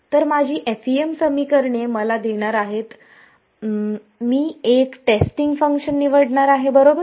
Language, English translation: Marathi, So, my FEM equations are going to give me I am going to choose a testing function right